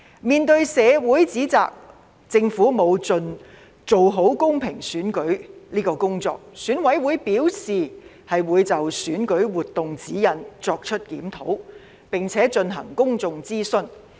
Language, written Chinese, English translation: Cantonese, 面對社會提出政府沒有盡量做好公平選舉的指摘，選舉管理委員會表示會就選舉活動指引作出檢討，並且進行公眾諮詢。, Dr Junius HO even got stabbed . Facing the criticism in the community that the Government had not done its utmost to hold a fair election the Electoral Affairs Commission EAC stated that it would review the guidelines on election - related activities and conduct public consultation